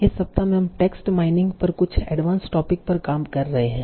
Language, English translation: Hindi, So in this week we are doing some advanced topics on text mining